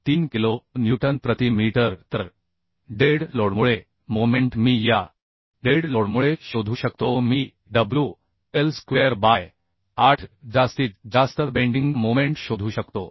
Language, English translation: Marathi, 3 kilonewton per meter So moment due to dead load I can find out due to this dead load I can find out say wl square by 8 maximum bending moment so 3